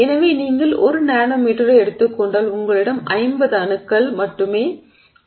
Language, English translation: Tamil, So if you take 10 nanometers you have only 50 atoms